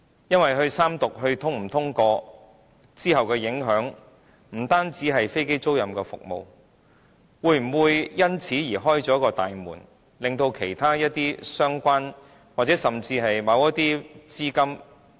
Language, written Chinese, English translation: Cantonese, 因為三讀《條例草案》是否通過，往後的影響不單是飛機租賃服務，會否因此而開了大門，令其他一些相關，甚至某些資金......, The Third Reading of the Bill is not only about aircraft leasing activities but also relates to whether this will open the floodgates to other relevant businesses or even certain other sources of capital I quote an example